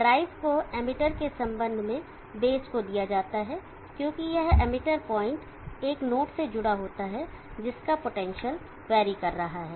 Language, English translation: Hindi, The drive is given to the base with respect to the emitter, because this emitter point, is connected to a node which is varying in potential